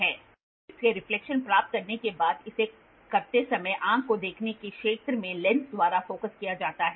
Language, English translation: Hindi, And after if getting reflection from the work piece it is focused by the lens in the field of view of the eye while doing